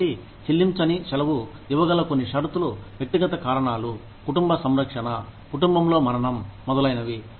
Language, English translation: Telugu, So, some conditions that, you could give unpaid leave under, would be personal reasons, family care, death in the family, etcetera